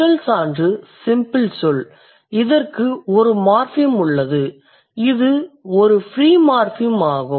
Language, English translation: Tamil, So, when we have a simple word, it has only one morphem and that is a free morphem